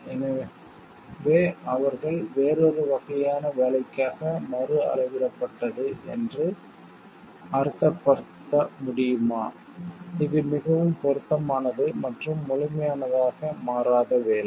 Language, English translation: Tamil, So, can they mean like rescaled for another kind of work, which is more relevant and which the work which is not to become absolute